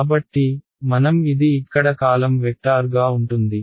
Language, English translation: Telugu, So, I can see so this will be a column vector over here